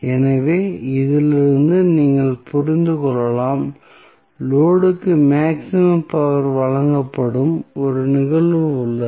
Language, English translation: Tamil, So, from this you can understand that there is 1 instance at which the maximum power would be supplied to the load